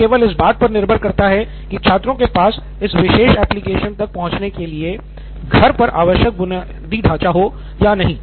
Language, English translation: Hindi, So now it is no longer dependent on the school infrastructure, it is only dependent on whether students have the required infrastructure at home to access this particular application